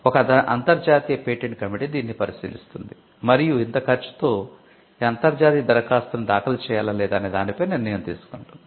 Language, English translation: Telugu, An international patent committee looks into this and takes the decision on whether to file an international application simply because of the cost involved